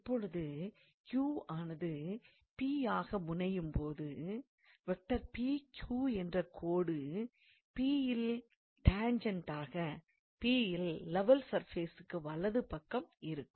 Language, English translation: Tamil, Now, as Q tends to P, the line PQ tends to the tangent at P right to the level surface at P